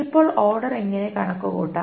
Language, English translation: Malayalam, So, now how to calculate the order